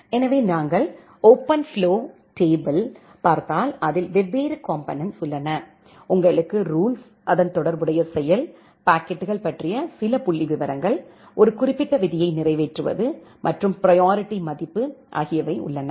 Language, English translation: Tamil, So, if we look into the OpenFlow flow table, the OpenFlow flow table has 4 different component, you have the rule, the corresponding action, certain statistics about packets, the execution of a particular rule and a priority value, which is associated with a rule